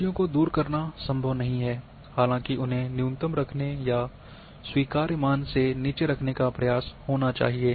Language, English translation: Hindi, It is not possible to remove errors; however, attempt should be to manage and keep them to an acceptable minimum